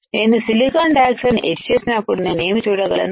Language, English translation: Telugu, When I etch silicon dioxide what can I see